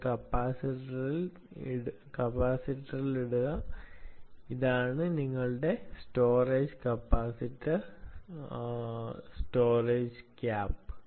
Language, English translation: Malayalam, and put it into a capacitor, right, this is your storage capacitor, storage cap